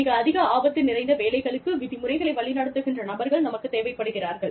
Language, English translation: Tamil, We need people, who are very instruction driven, for very high risk jobs